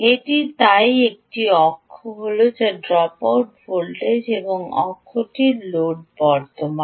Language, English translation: Bengali, this is access is dropout voltage and this axis is the load current